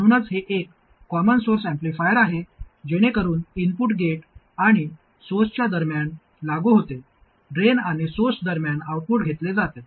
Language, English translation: Marathi, That's why it is a common source amplifier so that the input is applied between gait and source, output is taken between drain and source